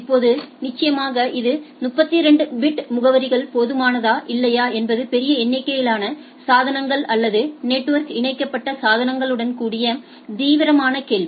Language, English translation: Tamil, Now, definitely whether it is 32 bit addresses is enough or not that is a serious question with huge number of devices or network connected devices in place